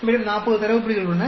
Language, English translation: Tamil, We have 40 data points